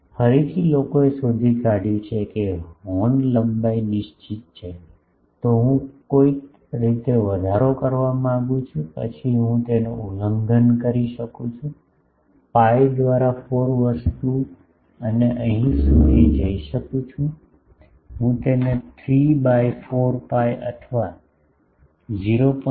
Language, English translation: Gujarati, Again people have found that if horn length is fixed, I want to increase gain somehow then I can violate that, pi by 4 thing and go up to here we I cannot go up to that 3 by 4 pi or 0